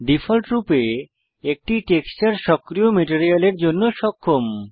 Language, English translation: Bengali, By default, one texture is enabled for the active material